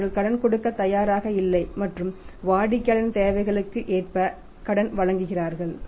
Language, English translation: Tamil, If they are not ready to give the credit and they are giving the credit as per the customer's requirements